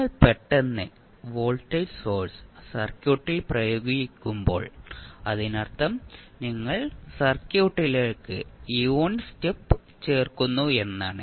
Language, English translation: Malayalam, So, when you suddenly apply the voltage source to the circuit it means that you are adding unit step to the circuit